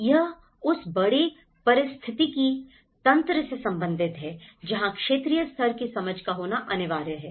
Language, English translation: Hindi, It has to relate with the larger ecosystem that’s where the regional level understanding has to come